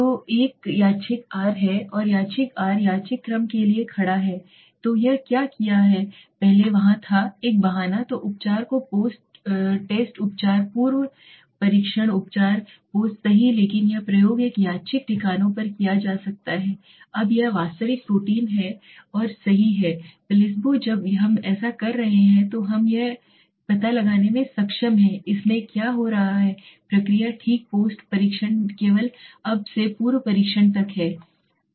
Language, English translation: Hindi, So there is a random r is random the r stands for random right so what it has done first there was a pretest then treatment then posttest treatment pre test treatment post right but this experimentation can be done on a random bases now this is the actual protein and this is the placebo when we are doing this so we are able to find out exactly what is happening in this process okay post test only now that was pre test